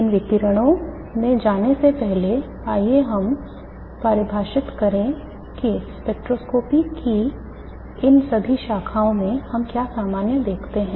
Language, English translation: Hindi, Before we go into those details, first let us define what we see common in all these branches of spectroscopy